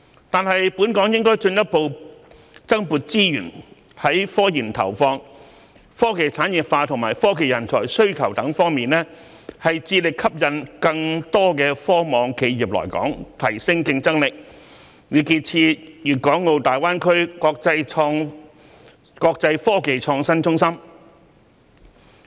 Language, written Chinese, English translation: Cantonese, 但是，本港應進一步增撥資源於科研投放、科技產業化及科技人才需求等各方面，致力吸引更多科網企業來港，提升競爭力，以建設粵港澳大灣區國際科技創新中心。, However we should allocate additional resources in such areas as investment in research and development industrialization of technologies and demand for technology talents so as to vigorously attract more TechNet enterprises to come to Hong Kong and enhance our competitiveness thereby developing an international innovation and technology hub in GBA